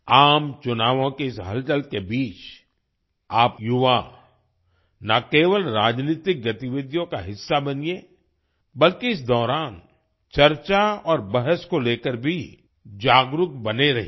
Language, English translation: Hindi, Amidst this hustle and bustle of the general elections, you, the youth, should not only be a part of political activities but also remain aware of the discussions and debates during this period